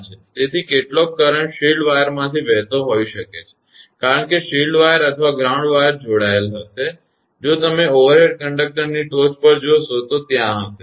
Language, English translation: Gujarati, So, some of the current may flow through the shield wire because shield wire or ground wire will connected on the; if you look through on the top of the overhead conductor will be there